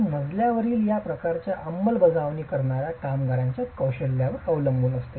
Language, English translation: Marathi, It depends a lot on the skill of the workmen who is executing this sort of a flow